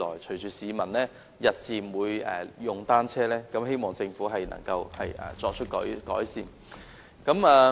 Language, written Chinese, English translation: Cantonese, 隨着市民日漸增加使用單車，我希望政府能夠就這問題作出改善。, Given a gradual increase in the use of bicycles by the public I hope the Government can ameliorate this problem